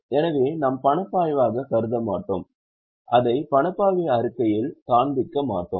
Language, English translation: Tamil, So, we will not consider it as a cash flow and will not show it in cash flow statement